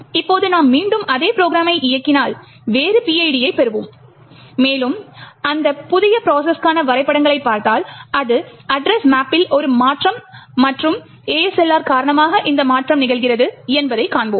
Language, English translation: Tamil, Now, if you run that same program again obviously you would get a different PID and if you look at the maps for that new process you would see that it is a change in the address map and this change is occurring due to ASLR